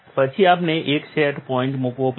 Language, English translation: Gujarati, Then we have to put a set point